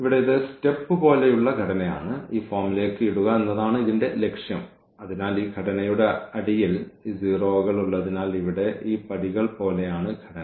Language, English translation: Malayalam, So, here then this is step like structure and we need to this is the aim to put into this form so that we have these 0s on the bottom of this of this structure here this stair like structure